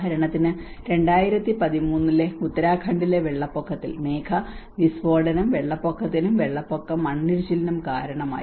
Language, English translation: Malayalam, Like for instance in Uttarakhand 2013 flood, a cloudburst have resulted in the floods, and floods have resulted in the landslides